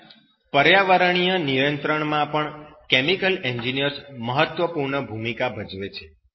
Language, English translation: Gujarati, And also, chemical engineer plays an important role in environmental control